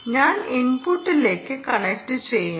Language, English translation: Malayalam, i will connect to the input